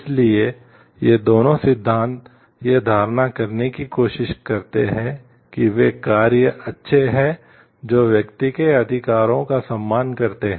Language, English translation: Hindi, So, both of these theories tries to hold that those actions are good which you respect the rights of the individual